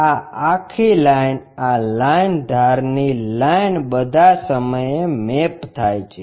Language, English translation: Gujarati, This entire line this line the edge line all the time maps